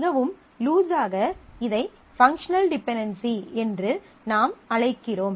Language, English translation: Tamil, Very loosely we call this the functional dependency